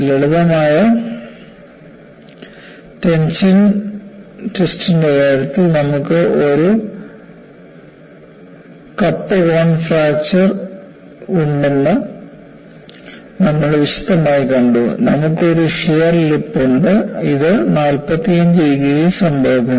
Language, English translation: Malayalam, And we had seen in some detail, that in the case of a simple tension test, you have a cup and cone fracture, and I pointed out that, you have a shear lip and this happens at 45 degrees